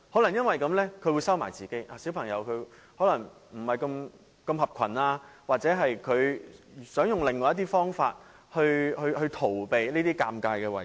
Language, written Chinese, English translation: Cantonese, 單親家庭的小朋友可能不合群，或者想用另一些方法來逃避這些尷尬情況。, Children from single - parent families may be unsociable or may want to avoid these embarrassing scenarios with some other means